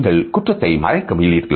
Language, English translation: Tamil, Are you trying to cover up a crime